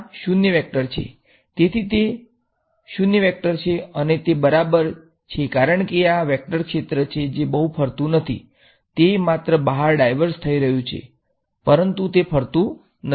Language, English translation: Gujarati, So, it is the 0 vector and that make sense because this vector field over here, it is not swirling, it is just; it is diverging out, but it is not swirling, it is not rotating